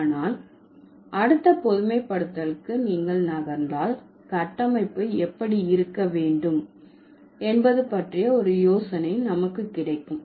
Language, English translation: Tamil, But if you move to the next generalization, we will get an idea how the structure should look like